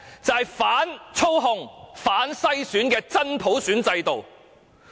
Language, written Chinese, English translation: Cantonese, 就是反操控、反篩選的真普選制度。, It is a genuine universal suffrage system that is free from manipulation and screening